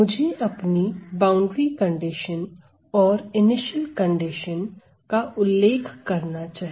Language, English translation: Hindi, I must specify my boundary conditions and initial conditions